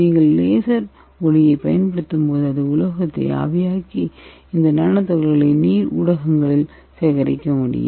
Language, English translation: Tamil, And when you apply the laser light it will vaporize the material and the nanoparticles can be obtained in the colloidal solution form